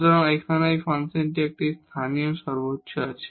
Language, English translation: Bengali, So, here also there is a local maximum of this function